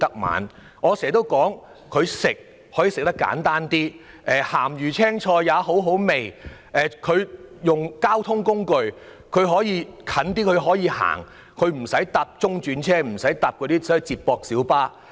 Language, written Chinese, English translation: Cantonese, 我經常說，三餐可以吃得很清淡，"鹹魚青菜也好好味"；交通方面，前往較近的地方可以步行而不乘坐中轉車或接駁小巴。, I always say that we can eat lightly every day because even salted fish and vegetables taste good; for transportation we may choose to walk to a close destination instead of taking feeder services or feeder minibuses